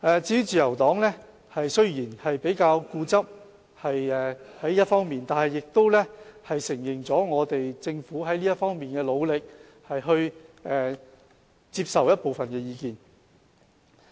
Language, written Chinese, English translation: Cantonese, 至於自由黨，雖然他們比較固執，但亦承認了政府在這方面的努力，並接受了部分意見。, As to Members from the Liberal Party although they are relatively stubborn they have recognized the Governments effort in this regard and accepted our views partially